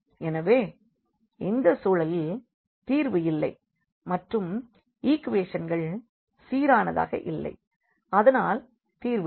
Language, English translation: Tamil, So, this is the case of no solution and the equations are inconsistent and hence the solution does not exist